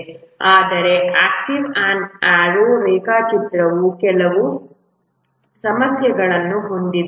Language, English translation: Kannada, But the activity on arrow diagram has some issues